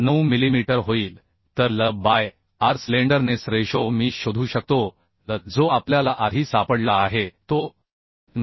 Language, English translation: Marathi, 9 millimetre So L by r the slenderness ratio I can find out L we found earlier that is 9